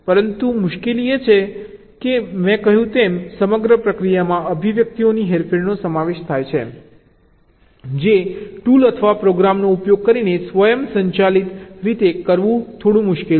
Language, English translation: Gujarati, but the trouble is that, as i said, the entire process consists of manipulation of expressions, which is a little difficult to do in an automated way by using a tool or a program